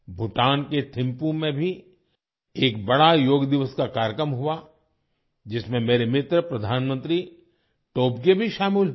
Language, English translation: Hindi, A grand Yoga Day program was also organized in Thimpu, Bhutan, in which my friend Prime Minister Tobgay also participated